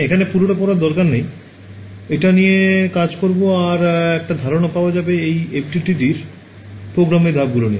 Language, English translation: Bengali, So, I would not read through all of this I will just working through this we will also get an idea of how to what are the steps in running an FDTD program ok